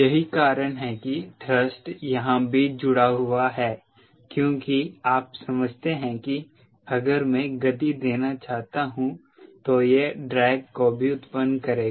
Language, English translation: Hindi, that is how thrust get connected here as well, because, you understand, if i want to give speed it will also cause drag